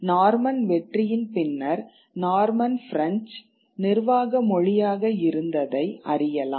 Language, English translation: Tamil, You had Norman French as the administrative language after the Norman conquest